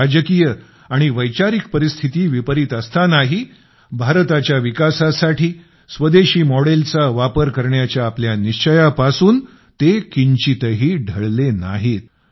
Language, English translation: Marathi, Despite the adverse political and ideological circumstances, he never wavered from the vision of a Swadeshi, home grown model for the development of India